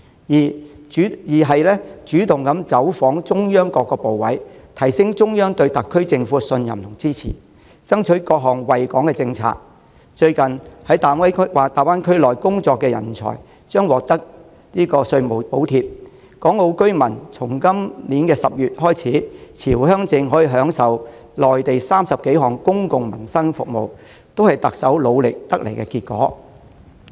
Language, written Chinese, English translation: Cantonese, 二、主動走訪中央各部委，提升中央對特區政府的信任和支持，爭取各項惠港政策：在大灣區內工作的人才將獲稅務補貼；由今年10月起，港澳居民持回鄉證可享用內地30多項公共民生服務，這些都是特首努力得來的成果。, Second she has proactively visited various ministries of the Central Authorities in an effort to boost the Central Authorities confidence in and support for the SAR Government and strive for various policies benefiting Hong Kong . The fruits of the Chief Executives efforts include tax concessions for talents working in the Greater Bay Area and over 30 public livelihood services on the Mainland made available for Hong Kong and Macao residents who are holders of Home Visit Permits